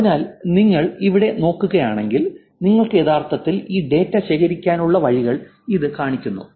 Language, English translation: Malayalam, So, if you look at here, this is showing you ways for which you can actually collect this data